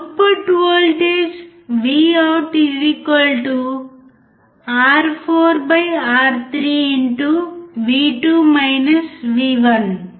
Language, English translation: Telugu, The output voltage is given by Vout= R4/R3*